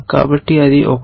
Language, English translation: Telugu, So, that is one